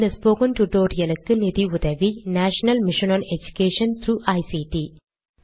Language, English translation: Tamil, The funding for this spoken tutorial has come from the National Mission of Education through ICT